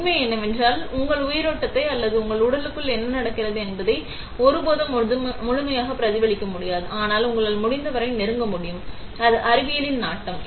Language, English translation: Tamil, The truth remains, that you can never completely mimic your in vivo or what happens in your inside your body but you can get as close as possible, that is the pursuit of science